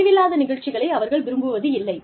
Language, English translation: Tamil, They do not like programs, that are vague